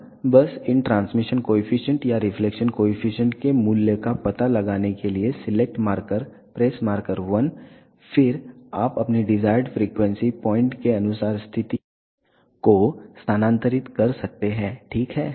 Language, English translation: Hindi, Now, just to locate the value of these transmission coefficient or reflection coefficient select marker press marker 1, then you can move the position as per your desired frequency point, ok